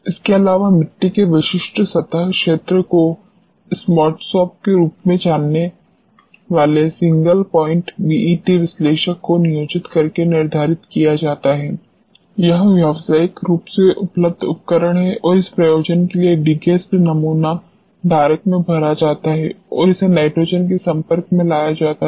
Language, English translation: Hindi, Further the specific surface area of the soil is determined by employing a single point BET analyzer known as smartsorb, this is commercially available equipment and for this purpose the degassed sample is filled in the sample holder and it is exposed to nitrogen